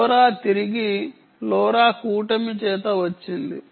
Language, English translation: Telugu, lora is back by the lora alliance